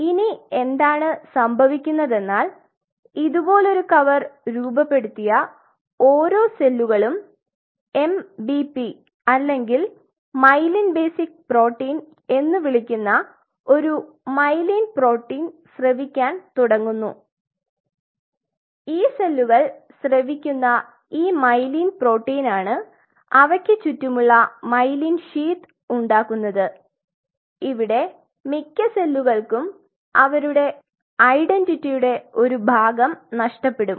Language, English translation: Malayalam, And then what happens these cells individual cells which has formed a complete covering like that starts to secrete a myelin basic protein which is called MBP or myelin basic protein and is this myelin protein which is secreted by these cells which form the myelin sheath around them and most of these cells loses part of their identity